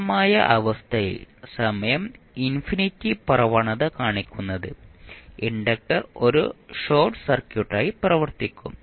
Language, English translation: Malayalam, At steady state condition say time t tends to infinity what will happen that the inductor will act as a short circuit